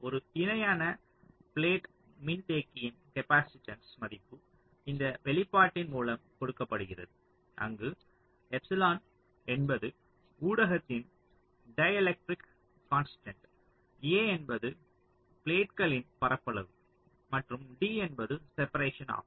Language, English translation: Tamil, so the capacitance value of a parallel plate capacitor, if you recall, is given by this expression, where epsilon is a ah dielectric constant of the medium, a is the area of the plates and d is the separation